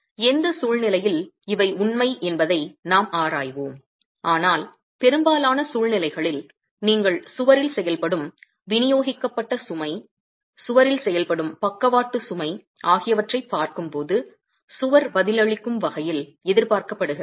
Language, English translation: Tamil, We will examine under what conditions these are true but most in most situations, when you are looking at distributed load acting on the wall, lateral load acting on the wall, this is the way in which the wall is expected to respond